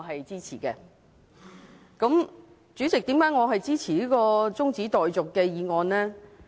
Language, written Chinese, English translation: Cantonese, 主席，我為何支持這項中止待續的議案？, President why do I support the adjournment motion?